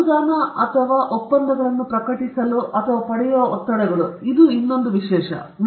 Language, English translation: Kannada, Pressures to publish or obtain grants or contracts; this is another thing